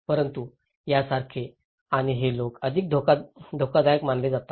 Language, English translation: Marathi, But similar kind of and these are considered to be more risky by the people